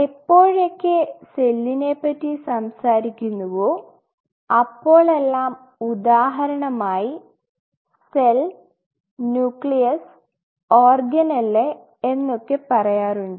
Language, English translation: Malayalam, Whenever we talked about a cell, this is said for example, a cell the nucleus and the organelle